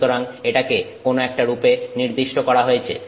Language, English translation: Bengali, So, this is standardized in some form